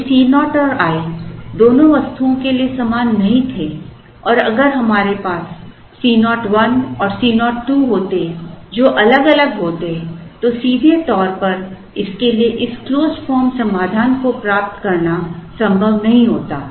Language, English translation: Hindi, If C naught and i were not the same for both the items and if we had a C 0 1 and a C 0 2 which were distinctly different then it is not possible to straight away get this closed form solution for this